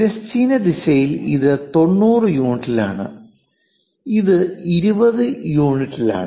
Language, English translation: Malayalam, In the horizontal direction it is at 90 units and this is at 20 units